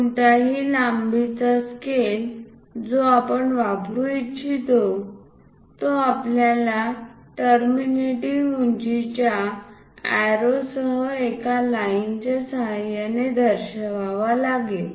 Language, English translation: Marathi, Any length scale which we would like to use we have to show it by line with arrows terminating heights